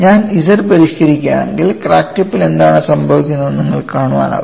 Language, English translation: Malayalam, If I modify the Z, you could also see what happens at the crack tip